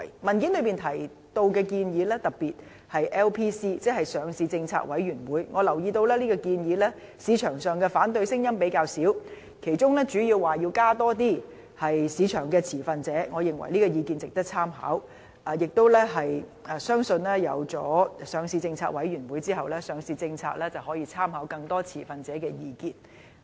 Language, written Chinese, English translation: Cantonese, 文件提到的建議，特別是 LPC， 即上市政策委員會，我留意到市場上對這項建議的反對聲音較少，其中主要便是提出要加入更多市場持份者，我認為這項意見值得參考，相信當成立上市政策委員會後，上市政策就可以參考更多持份者的意見。, I noticed that certain recommendations in the paper in particular the one regarding the establishment of the Listing Policy Committee LPC has met with less opposition and people are mainly suggesting participation by more stakeholders . I think this suggestion is worthy of consideration and believe that upon the establishment of LPC reference can be made to views of more stakeholders in the formulation of the listing policy